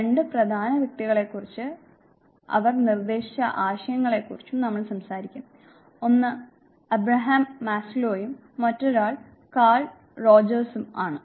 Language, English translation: Malayalam, We would talk about two important individuals and the concepts that they proposed, one Abraham Maslow and the other one is Carl Rogers